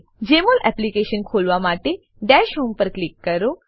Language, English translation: Gujarati, To open the Jmol Application, click on Dash home